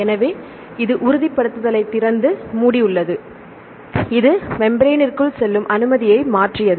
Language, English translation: Tamil, So, it has opened and closed confirmation right it changed the confirmation to allow to pass through into the membrane